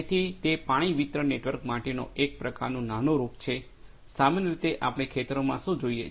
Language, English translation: Gujarati, So, it is kind of a prototype for water distribution network, what usually we see in the fields